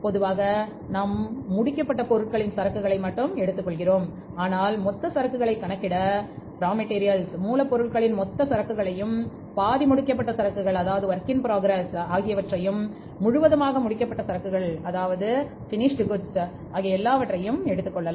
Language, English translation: Tamil, Normally we take the inventory of finished goods but sometime we can take the total inventory also of the raw material then the work in process and then the finished goods